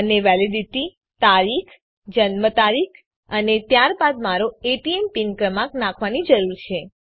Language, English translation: Gujarati, I need to enter the validity date , Date Of Birth and then my ATM pin number